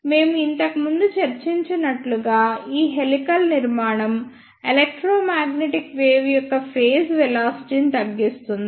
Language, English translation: Telugu, As we discussed earlier this helical structure reduces the phase velocity of the electromagnetic wave